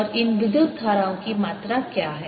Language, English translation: Hindi, and what is the amount of these currents